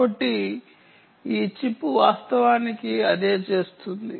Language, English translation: Telugu, ok, so thats what this chip actually ah does